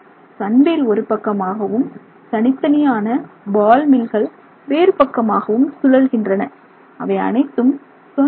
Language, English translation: Tamil, So, the Sunwheel rotates one, the individual ball mills rotate the other way and they have their own RPM